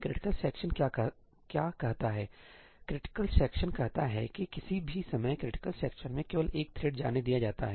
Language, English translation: Hindi, What does critical section say critical section says is that only one thread is allowed to enter a critical section at any point in time